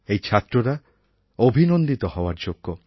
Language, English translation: Bengali, All these students deserve hearty congratulations